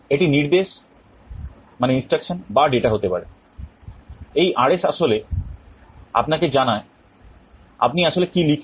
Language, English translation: Bengali, It can be either instruction or data; this RS actually tells you what you are actually writing